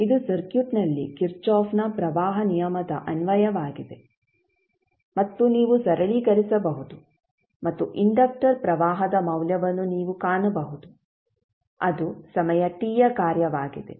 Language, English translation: Kannada, So, this would be simply the kirchhoff’s current law application in the circuit and you can simplify and you can find the value of il which would be nothing but function of time t